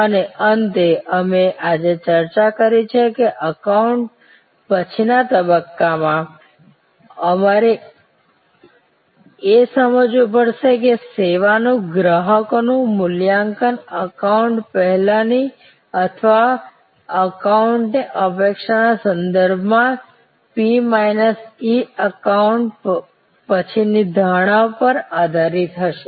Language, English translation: Gujarati, And finally, we have discussed today that in the post encounter stage, we have to understand that the customers evaluation of service will be based on P minus E post encounter perception with respect to pre encounter or in encounter expectation